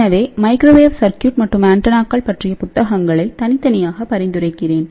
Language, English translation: Tamil, So, I would actually recommend several books on microwave circuits separately and antennas separately